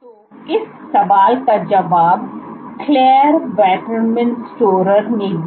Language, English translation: Hindi, So, this question was answered by Clare Waterman Storer